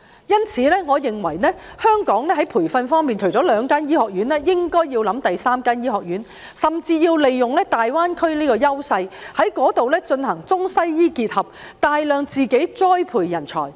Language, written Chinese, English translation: Cantonese, 因此，我認為香港在培訓方面，除了兩間醫學院外，應該考慮開設第三間醫學院，甚至利用大灣區的優勢，在那裏進行中西醫結合，大量栽培人才。, Therefore when it comes to training I think Hong Kong should consider establishing a third medical school in addition to the two existing ones . We should even capitalize on the advantages of the Greater Bay Area to integrate Chinese and Western medicine there so as to nurture a huge pool of talents